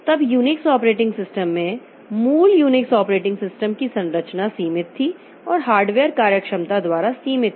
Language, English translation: Hindi, Then in the Unix operating system, the original Unix operating system had limited structuring and was limited by hardware functionality